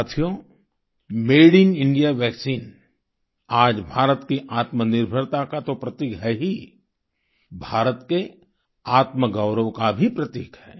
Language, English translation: Hindi, today, the Made in India vaccine is, of course, a symbol of India's selfreliance; it is also a symbol of her selfpride